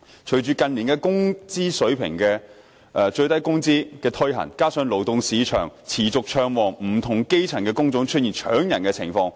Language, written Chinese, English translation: Cantonese, 隨着近年落實最低工資的規定，加上勞動市場持續暢旺，不同的基層工種出現"搶人"情況。, With the implementation of the prescribed minimum wage rate and the persistently active labour market in recent years various job types at the elementary level are found scrambling for workers